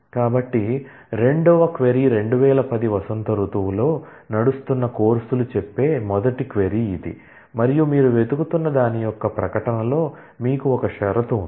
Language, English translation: Telugu, So, this is the first query the second query says the courses, that run in spring 2010 and you are you have an or condition in the statement of what you are looking for